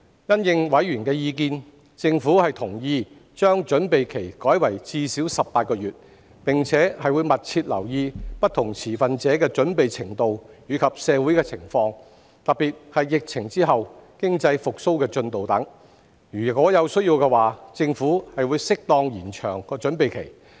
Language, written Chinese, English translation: Cantonese, 因應委員的意見，政府同意將準備期改為至少18個月，並會密切留意不同持份者的準備程度及社會情況，特別是疫情後的經濟復蘇進度等；如有需要，政府會適當延長準備期。, In the light of members views the Government has agreed to revise the preparatory period to at least 18 months and will pay close attention to the level of preparation among different stakeholders and the social situation particularly the progress of economic recovery after the pandemic . The Government will extend the preparatory period as appropriate if considered necessary